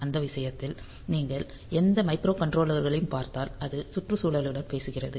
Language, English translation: Tamil, And for that matter, if you look into any microcontrollers since the micro controllers are talking to the environment